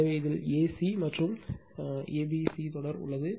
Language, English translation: Tamil, So, in this is a c and a c b sequence right